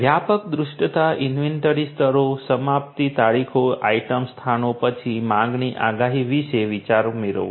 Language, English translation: Gujarati, Getting comprehensive visibility inventory levels, getting idea about the expiration dates, item locations, then about the demand forecasting